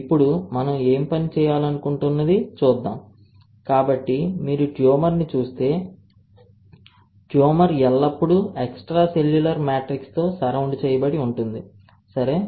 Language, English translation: Telugu, Now, what we want to work on is if I, so if you see a tumor, right, the tumor is always surrounded by something called extracellular matrix, ok